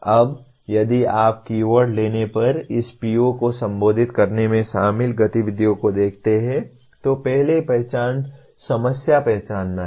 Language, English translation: Hindi, Now if you look at the activities involved in addressing this PO if you take the keywords, first is identify, problem identification